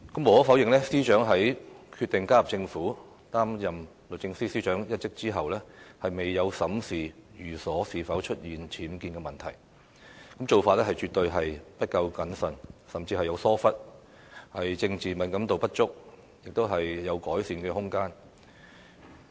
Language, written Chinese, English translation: Cantonese, 無可否認，司長在決定加入政府，擔任律政司司長一職後，未有審視寓所是否出現僭建問題，做法絕對是不夠審慎，甚至有疏忽，政治敏感度不足，她是有改善的空間。, Undoubtedly the fact that the Secretary for Justice had not examined whether there were UBWs in her residence before deciding to join the Government and take up the post of Secretary for Justice has definitely reflected her carelessness or even negligence as well as the lack of political sensibility